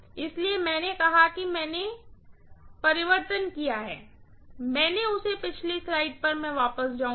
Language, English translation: Hindi, That is why I said that is another little diversion I have taken, let me go back to the previous slide, right